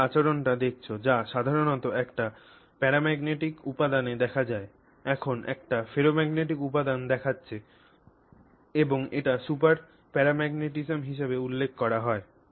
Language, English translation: Bengali, We are seeing a ferromagnetic material displaying characteristics usually seen only in a paramagnetic material being shown by a ferromagnetic material and this is referred to as super paramagnetism